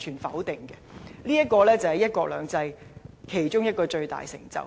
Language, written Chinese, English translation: Cantonese, 這個就是"一國兩制"其中一個最大成就。, That is one of the greatest accomplishments of one country two systems